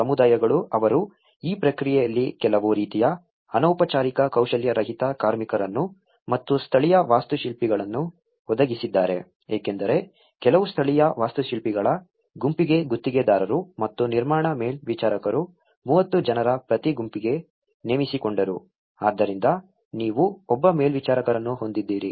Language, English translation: Kannada, The communities they also provided some kind of informal the unskilled labour at this process and the local builders because for a group of the some of the local builders were hired by the contractors and the construction supervisors for every group of 30 so, you have one supervisor who is looking at it